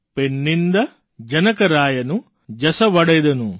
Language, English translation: Gujarati, Penninda janakaraayanu jasuvalendanu